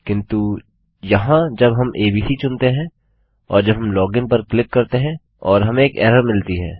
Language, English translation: Hindi, But here when we choose abc and we click log in and we have got an error